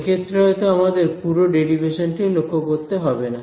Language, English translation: Bengali, So, in this case maybe we do not need to go through the entire derivation